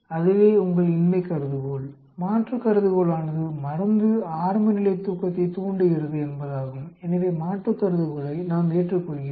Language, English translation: Tamil, That is your null hypothesis, alternate drug induces early sleep, so we accept the alternate hypothesis